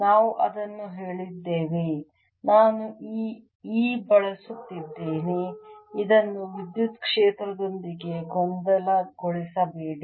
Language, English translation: Kannada, i am using this e do not confuse this with the electric field